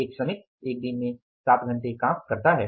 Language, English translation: Hindi, A worker works for seven hours in a day